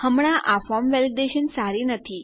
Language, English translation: Gujarati, Now this form validation isnt good